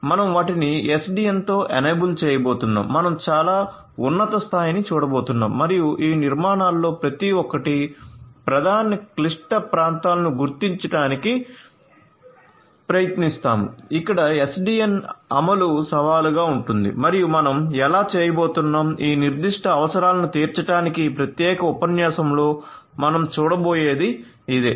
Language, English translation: Telugu, So, how you are going to make them SDN enabled is what we are going to at a very high level look at and particularly try to identify the main difficult areas in each of these architectures where SDN implementation will pose challenge and how you are going to do that to cater to these specific requirements, this is what we are going to look at in this particular lecture